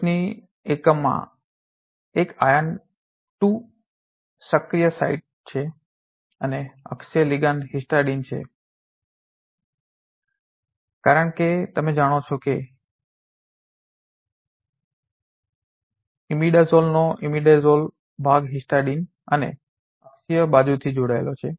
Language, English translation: Gujarati, There is a iron active site in the top one and the axial ligand is histidine as you know it is a imidazole part of imidazole is appended from the histidine and the axial side